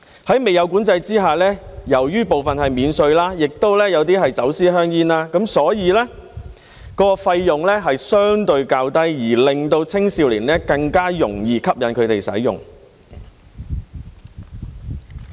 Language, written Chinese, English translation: Cantonese, 在未有管制之下，由於有部分是免稅的，亦有些是走私香煙，所以費用相對較低，更容易吸引青少年使用。, In the absence of control since some of the cigarettes are duty free and some are smuggled the cost is relatively low making them more appealing to youngsters